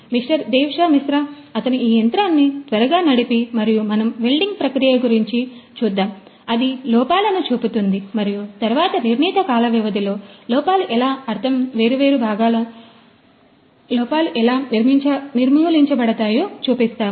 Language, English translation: Telugu, Devashish Mishra, he will quickly run you know this the machine and we demonstrate that the welding process, all the in you know it will it will show the defects and then essentially over the period of the time how the defects get erradicated